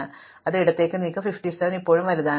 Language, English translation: Malayalam, So, I will move it left, 57 is still bigger